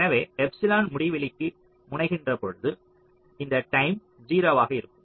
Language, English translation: Tamil, so when epsilon tends to infinity, this term will be zero